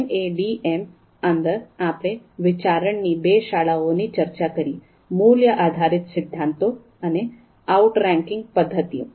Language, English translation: Gujarati, And within MADM, we talked about two schools of thought, value based theories and outranking methods